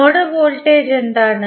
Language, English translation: Malayalam, What is the node voltage